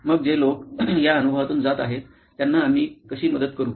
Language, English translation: Marathi, So, how can we help these guys these people who are going through this experience